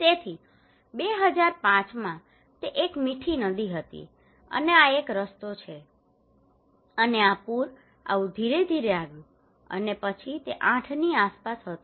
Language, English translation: Gujarati, So in 2005 it was a Mithi river, and this is the road, and the flood came like this okay gradually and then it was around 8